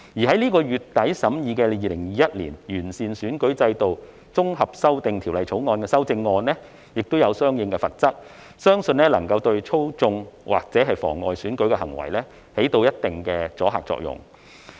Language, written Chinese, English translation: Cantonese, 在本月底審議的《2021年完善選舉制度條例草案》也有相關的罰則，相信能夠對操縱或妨礙選舉的行為起一定的阻嚇作用。, Under the Improving Electoral System Bill 2021 to be scrutinized at the end of this month there will also be penalties in this regard . It is believed that this will have certain deterrent effects against manipulating or undermining elections